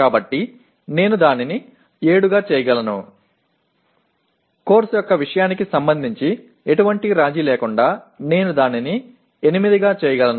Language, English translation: Telugu, So I can make it 7, I can make it 8 without any compromise with respect to the content of the course